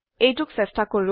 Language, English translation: Assamese, Let us try it